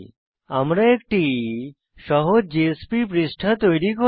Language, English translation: Bengali, We will now create a simple JSP page